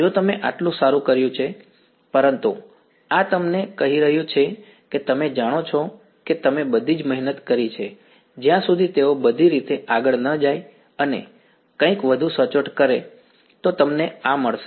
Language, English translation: Gujarati, If you have done that good enough right, but this is telling you that you know you have done all the hard work getting till they just go all the way and do something a little bit more accurate, you will get this